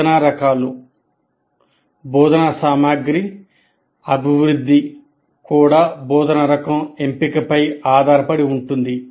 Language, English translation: Telugu, The development of material, instruction material will also depend on the choice of instruction type